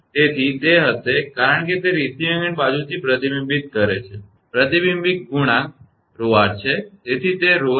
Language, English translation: Gujarati, So, it will be because it is reflecting from the receiving end side the reflection coefficient is rho r